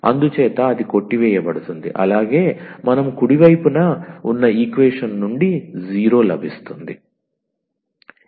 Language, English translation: Telugu, So, that will cancel out and the we will get the 0 which is the right hand side of the equation